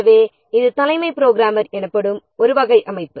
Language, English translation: Tamil, So, this is one type of structure called as chief programmer